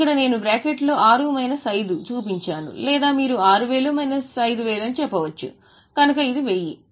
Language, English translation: Telugu, Here I have shown in bracket 6 minus 5 or you can say 6,000 minus 5,000